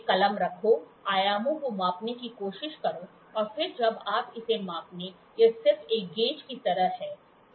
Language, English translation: Hindi, Put a pen, try to measure the dimensions and then what when you do, when you measure it, it is just like a gauge